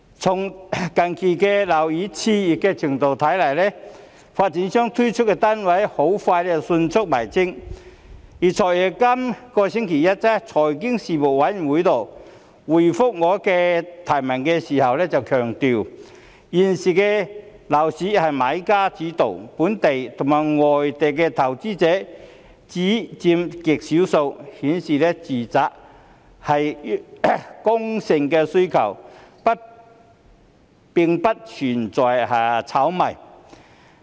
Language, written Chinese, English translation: Cantonese, 從近期樓市熾熱的程度看來，發展商推出的單位很快便沽清，而"財爺"於本星期一在財經事務委員會會議上回覆我的提問時強調，現時的樓市由買家主導，本地和外地的投資者只佔極少數，顯示住宅是剛性需求，並不存在炒賣。, As seen from the recent exuberance of the property market the developers sold out their flats very quickly . In reply to my question raised at the meeting of the Panel on Financial Affairs this Monday the Financial Secretary stressed that the current property market was led by sellers and local and foreign investors only represented an extremely small proportion . This showed that the demand for residential housing was inelastic and there is no question of speculation at all